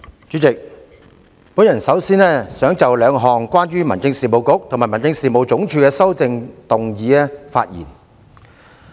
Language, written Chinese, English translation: Cantonese, 主席，我首先想就兩項關於民政事務局及民政事務總署的修正案發言。, Chairman to start with I wish to speak on the two amendments relating to the Home Affairs Bureau and the Home Affairs Department